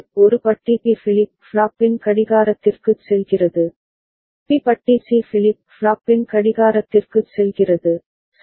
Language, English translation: Tamil, A bar is going to the clock of B flip flop, and B bar is going to the clock of C flip flop, right